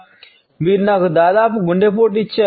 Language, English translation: Telugu, Oh my god you almost gave me a heart attack